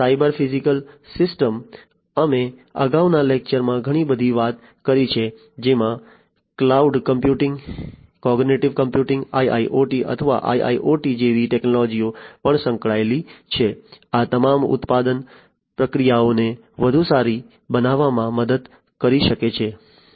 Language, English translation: Gujarati, Cyber physical systems we have talked a lot in a previous lecture also associated technologies such as cloud computing, cognitive computing, IoT or IIoT; all of these can help in making manufacturing processes sorry, manufacturing processes better